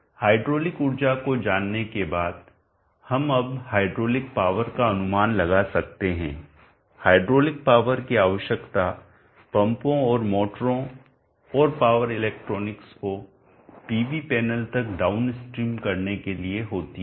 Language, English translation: Hindi, Hydraulic energy we can now estimate the hydraulic power is needed to rate the pumps and the motors and the power electronics downstream up to the PV panel